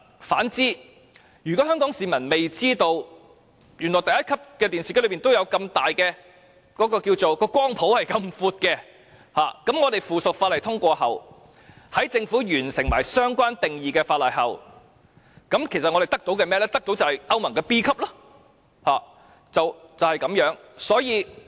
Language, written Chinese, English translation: Cantonese, 相反，如果香港市民不知道屬能源效益第一級的電視機的涵蓋範圍原來這麼闊，那麼在通過有關的附屬法例及政府完成相關定義的立法工作後，其實我們只會獲得屬歐盟能源效益 B 級的電視機。, Conversely if people of Hong Kong fail to know that televisions with Grade 1 energy labels actually cover a wide scope even if the relevant subsidiary legislation is passed and the exercise of legislating for the relevant definitions is completed by the Government we can still only buy televisions with European Union Class B energy efficiency